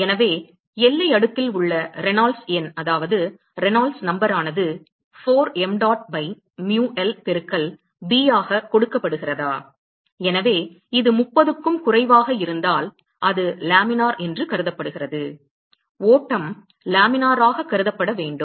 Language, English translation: Tamil, So, is the Reynolds number in the boundary layer is given by 4 mdot by mu l into b and so, if this is less than 30, then it is consider to be laminar; the flow is to be consider as laminar